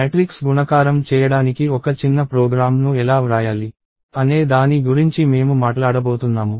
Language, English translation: Telugu, So, I am going to talk about how to write a small program to do matrix multiplication